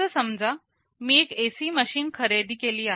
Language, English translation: Marathi, Let us say I have purchased an AC machine